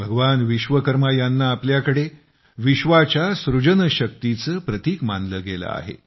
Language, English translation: Marathi, Here, Bhagwan Vishwakarma is considered as a symbol of the creative power behind the genesis of the world